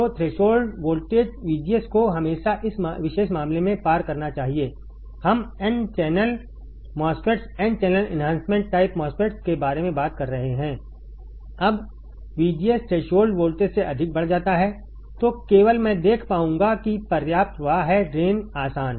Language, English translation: Hindi, So, threshold voltage the VGS should always cross in this particular case, we are talking about n channel MOSFETs n channel enhancement type MOSFETs when VGS is increased greater than threshold voltage, then only I will be able to see that there is a sufficient flow of drain current easy